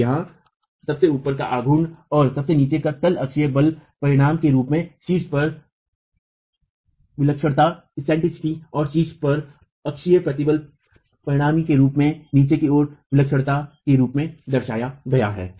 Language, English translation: Hindi, And here the moment at the top and the moment at the bottom are represented as the axial force resultant at the top into the eccentricity at the top and the axial stress resultant at the bottom into the eccentricity at the bottom itself